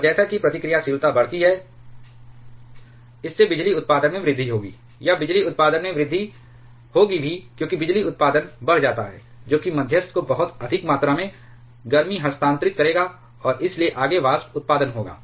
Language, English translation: Hindi, And as the reactivity increases it will lead to further power production or increasing the power production, as the power production increases that will transfer much larger amount of heat to the moderator, and hence there will be a further vapor generation